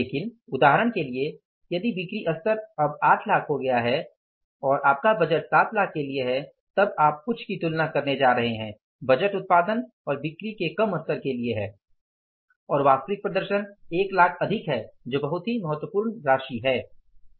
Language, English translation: Hindi, But for example if the sales level has become now 8, 8 lakhs and your budget is for 7 lakhs, you are going to compare something that the budget is for lesser level of production and sales and actual performance has gone up by 1 lakh is a very significant amount